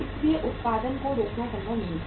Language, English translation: Hindi, So it was not possible to stop the production